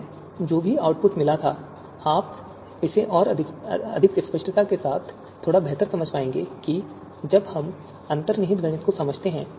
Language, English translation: Hindi, Now whatever the output that we had got, you would be able to understand it a bit better with more clarity and now that we understand the underlying mathematics